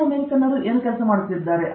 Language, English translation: Kannada, What are the South Americans working on